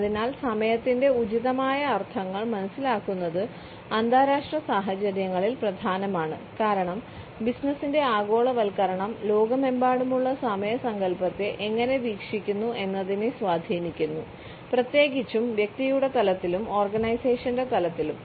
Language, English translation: Malayalam, Understanding appropriate connotations of time is therefore important in international situations globalization of business is influencing how the concept of time is viewed around the world particularly at the level of the individual, at the level of the organization